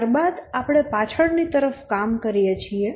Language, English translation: Gujarati, From then we work backwards